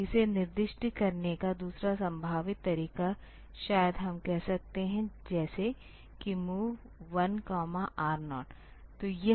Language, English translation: Hindi, The second possible way of specifying this maybe we can write like say move 1 comma R 0